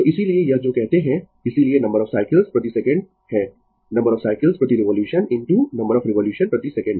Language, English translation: Hindi, So, that is why this your what you call, that is why number of cycles per second is the number of cycles per revolution into number of revolution per second